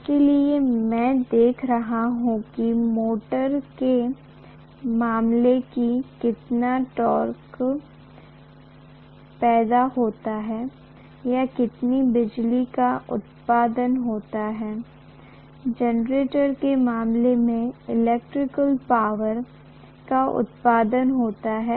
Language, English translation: Hindi, So I am looking at how much torque is produced in the case of a motor or how much power is produced, electrical power is produced in the case of a generator